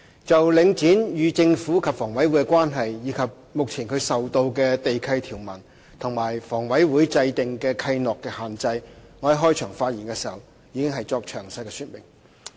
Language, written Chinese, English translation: Cantonese, 就領展與政府及香港房屋委員會的關係，以及目前它受到地契條文和與房委會制訂的契諾的限制，我在開場發言時已作詳細說明。, In my opening speech I already elaborated the relationship between Link REIT and the Government as well as the Hong Kong Housing Authority HA and the restrictions currently imposed on Link REIT by the land lease conditions and covenants signed with HA